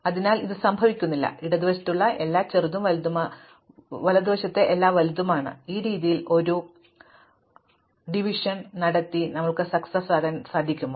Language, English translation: Malayalam, So, that this does not happen, everything on the left is smaller and everything on the right is larger, is it possible to do a divide and conquer in this fashion